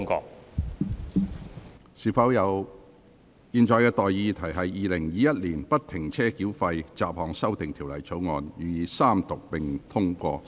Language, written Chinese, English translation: Cantonese, 我現在向各位提出的待議議題是：《2021年不停車繳費條例草案》予以三讀並通過。, I now propose the question to you and that is That the Free - Flow Tolling Bill 2021 be read the Third time and do pass